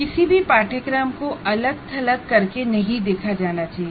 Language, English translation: Hindi, No course should be seen in isolation